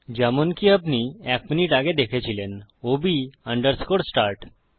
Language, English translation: Bengali, So as you saw a minute ago that is ob underscore start